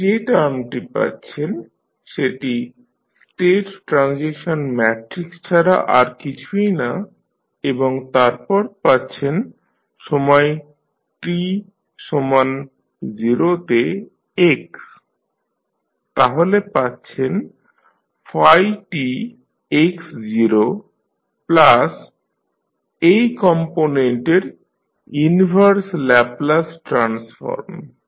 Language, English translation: Bengali, You get this term nothing but the state transition matrix and then you get x at time t is equal to 0, so you get phi t x0 plus the inverse Laplace transform of this component